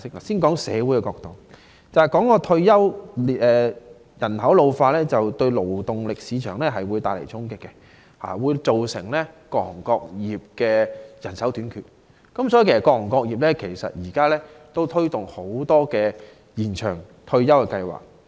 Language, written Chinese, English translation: Cantonese, 先談社會方面，提到退休，人口老化會對勞動力市場帶來衝擊，造成人手短缺，所以各行各業現時都推動多項延長退休計劃。, First an ageing society will deal a blow to the labour market and cause manpower shortage . Thus extension of retirement plans have been introduced in many trades and industries